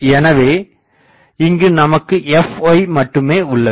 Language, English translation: Tamil, So, I will have only fy and what is fy